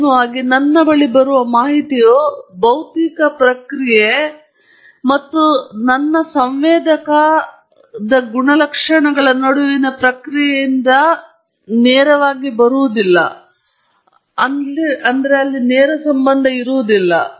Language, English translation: Kannada, Ultimately, the data that comes to me is not directly from the process between the process, the physical process and the data I have a sensor and that sensor characteristics